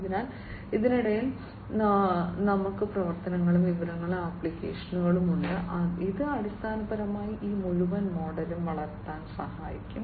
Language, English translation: Malayalam, So, in between we have the operations, information, and application, which will basically help in grewing up this entire model